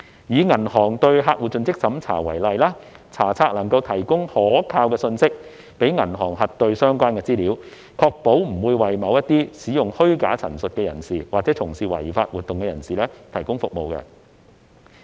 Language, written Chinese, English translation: Cantonese, 以銀行對客戶的盡職審查為例，查冊能夠提供可靠信息讓銀行核對相關資料，確保不會為某些使用虛假陳述的人士或從事違法活動的人士提供服務。, Let us take due diligence undertaken by banks on customers as an example . Inspection of the Register provides banks with reliable data for verifying relevant information to ensure that they will not provide services for those making false representations or engaged in illegal activities